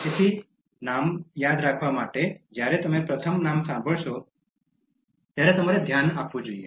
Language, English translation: Gujarati, So, to remember names, you should pay attention to a name when you first hear it